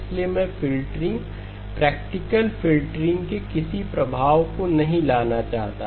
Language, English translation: Hindi, So I do not want to bring in any effects of filtering, practical filtering